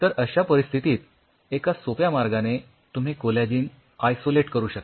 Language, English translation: Marathi, So, this is one of the easiest and simplest way how you can obtain collagen